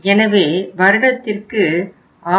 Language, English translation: Tamil, So we are annually placing 6